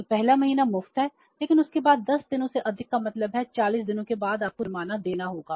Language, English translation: Hindi, So first month is free but after that beyond 10 more days means after 40 days you have to pay the penalty